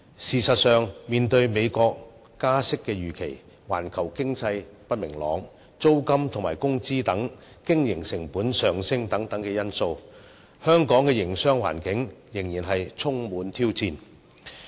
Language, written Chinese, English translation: Cantonese, 事實上，面對美國加息預期、環球經濟不明朗、租金及工資等經營成本上升等因素，香港的營商環境仍然充滿挑戰。, In fact the business environment in Hong Kong remains challenging owing to the expected interest rate hikes in the United States uncertainties in the global economy and rising operating costs such as rentals and wages